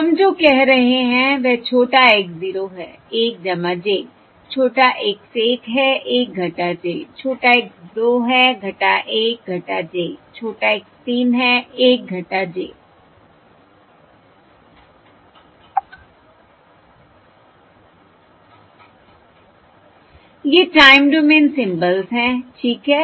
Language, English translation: Hindi, We said that small x 0, small x 1, small x 2, small x 3, these are the time domain symbols